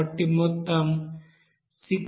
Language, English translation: Telugu, So total amount is coming as 67061